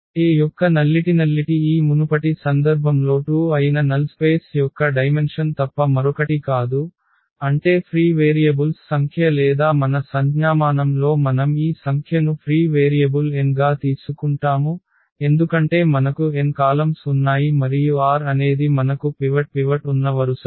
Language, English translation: Telugu, The nullity of A is nothing but the dimension of the null space which was 2 in the this previous case, meaning the number of free variables or in our notation we also take this number of free variables as n minus r, because we have n columns and the r are the rows where we have the pivots